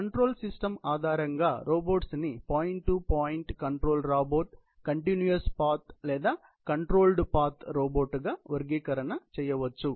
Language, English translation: Telugu, So, based on control systems adopted, robots are classified into point to point robot; control robot, continuous path control robot and controlled path robot